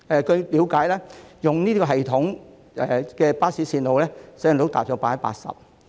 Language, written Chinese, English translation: Cantonese, 據了解，透過該系統編製的巴士路線的使用率達 80%。, It is understood that the utilization rate of bus routes compiled through the system is as high as 80 %